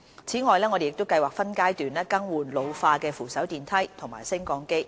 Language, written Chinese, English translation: Cantonese, 此外，我們計劃分階段更換老化的扶手電梯和升降機。, In addition we have plans to replace in phases the aged escalators and lifts